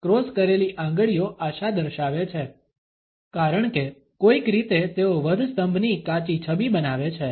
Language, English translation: Gujarati, Crossed fingers indicate hope, because somehow they form a rough image of the crucifix